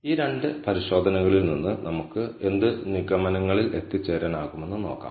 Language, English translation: Malayalam, So, let us see what conclusions can we draw from these two tests